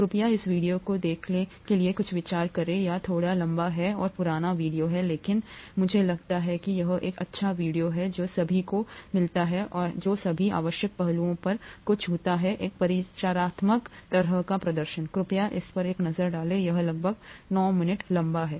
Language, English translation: Hindi, Please take a look at this video to get some idea, it’s a slightly longish and an old video, but I think it’s a nice video which gets to all the which touches upon all the necessary aspects for an introductory kind of an exposure, please take a look at that, it’s about 9 minutes long